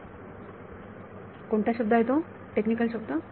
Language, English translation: Marathi, What is that word, technical word